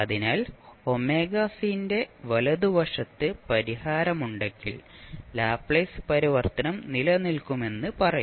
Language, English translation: Malayalam, So, you will say that your Laplace transform will not exist